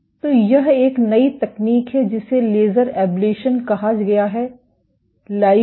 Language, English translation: Hindi, So, there is a new technique which has been introduced called laser ablation